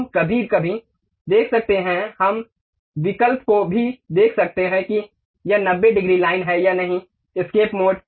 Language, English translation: Hindi, We can see sometimes we can see this option also whether it is 90 degrees line or not, escape mode